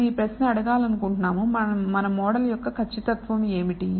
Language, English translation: Telugu, We want to ask this question, what is the accuracy of our model